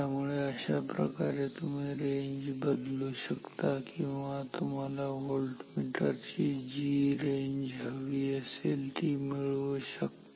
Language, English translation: Marathi, So, this is how you can alter the range or choose the range of a volt meter that you want to make